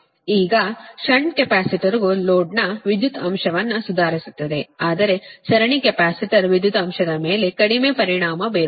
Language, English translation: Kannada, now, shunt capacitors improves the power factor of the load, it is true, whereas series capacitor has little effect on power factor